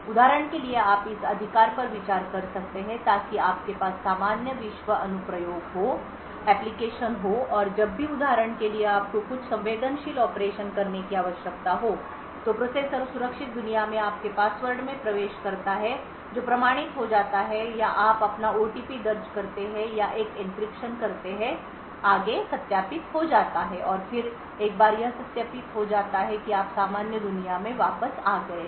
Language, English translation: Hindi, So for example you could consider this right so you would have normal world applications and whenever for example you require to do some sensitive operation the processor shifts to the secure world you enter your password which gets authenticated or you enter your OTP or do an encryption which further gets verified and then once it is verified you switch back to the normal world